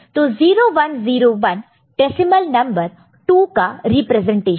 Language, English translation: Hindi, So, 0101 is the decimal representation of 2, ok